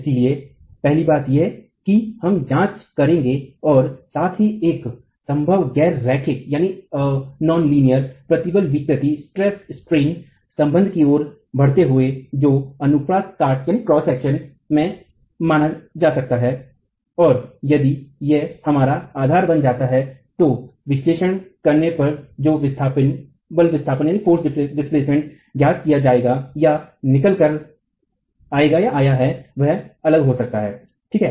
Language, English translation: Hindi, So, that's the first thing that we will examine and of course move on to a possible nonlinear stress strain relationship that can be assumed in the cross section and if that becomes our basis, the force displacement coming out of the analysis can be different